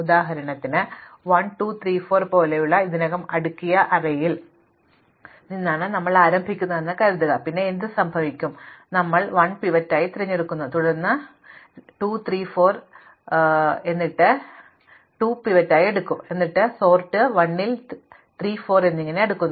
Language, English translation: Malayalam, So, for example, supposing we start with an already sorted array like 1, 2, 3, 4 then what happens is that, we pick 1 as the pivot and then this, this then results in us wanting to sort 2, 3, 4 and then I will pick 2 as a pivot and this results in us wanting to sort 3, 4 and so on